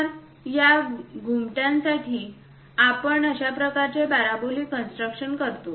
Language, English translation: Marathi, So, here for these domes, we see that kind of parabolic constructions